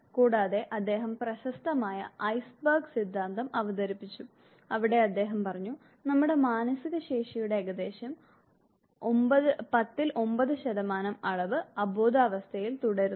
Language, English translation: Malayalam, And he gave is famous ice berg theory, no where he said that approximately 9/ 10th of our mental faculty remains unconscious to us